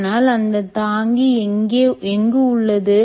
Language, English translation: Tamil, and where is the bearing